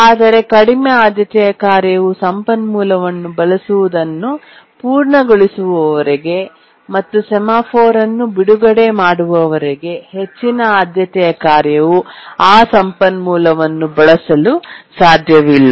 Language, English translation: Kannada, But until the low priority task actually completes using the resource and religious the semaphore, the high priority task cannot access the resource